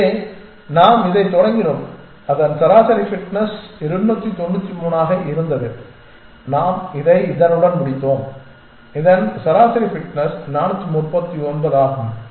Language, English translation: Tamil, So, we started with this whose average fitness was 293 and we ended up with this whose average fitness is 439 essentially